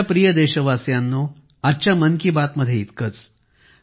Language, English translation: Marathi, My dear countrymen, that's all with me today in 'Mann Ki Baat'